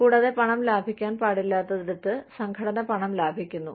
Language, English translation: Malayalam, And, the organization saves money, where it should not be saving money